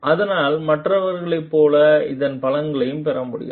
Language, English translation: Tamil, So, that like others can get benefit of it